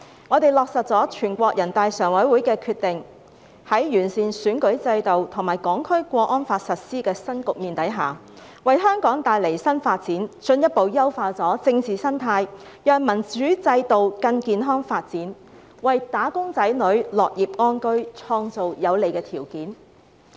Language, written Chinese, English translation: Cantonese, 我們落實了全國人大常委會的決定，在完善選舉制度及《香港國安法》實施的新局面下，為香港帶來新發展，進一步優化政治生態，讓民主制度更健康發展，也為"打工仔女"的樂業安居，創造有利的條件。, We have implemented the decision of the Standing Committee of the National Peoples Congress and entered a new chapter following the improvement to our electoral system and the implementation of the Hong Kong National Security Law which will bring new development opportunities to Hong Kong enhance further our political ecology ensure a healthier development of the democratic system and create favourable conditions for wage earners to live and work in peace and contentment